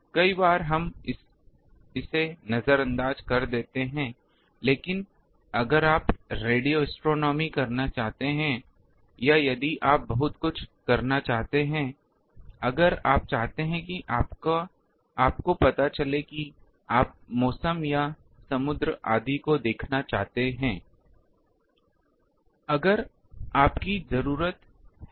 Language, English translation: Hindi, Many times we ignore that, but if you want to do suppose radio astronomy or if you want to have a very, if you want to you know that suppose you want to see the weather or ocean etc